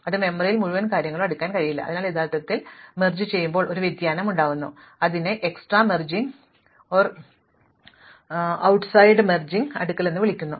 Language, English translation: Malayalam, We cannot sort the entire thing in the memory, so actually we use a variation of merge sort which is called external merge sort